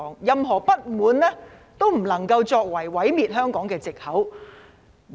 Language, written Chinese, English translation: Cantonese, 任何不滿都不能夠成為毀滅香港的藉口。, Dissatisfaction cannot be used as an excuse to destroy Hong Kong